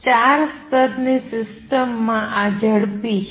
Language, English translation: Gujarati, In a four level system, this is fast